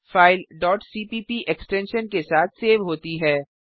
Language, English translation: Hindi, Save the file with .c extension